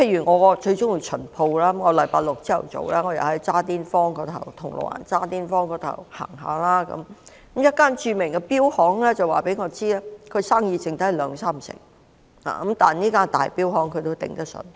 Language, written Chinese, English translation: Cantonese, 我很喜歡"巡鋪"，某星期六早上，當我在銅鑼灣渣甸坊逛街時，有一間著名錶行的店員告訴我，指現時生意只有兩三成，但因那是一間大型錶行，它仍然捱得住。, I like visiting shops very much . One Saturday morning when I was strolling along Jardines Crescent in Causeway Bay the salesman in a well - known watch company told me that their business dropped 70 % to 80 % recently but since it was a large scale watch company it could still manage to withstand the difficulties